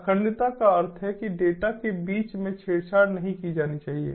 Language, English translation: Hindi, integrity means that the data should not be tampered with in between